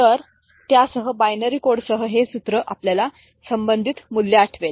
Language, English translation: Marathi, So, with that with the binary code this formula you remember the corresponding values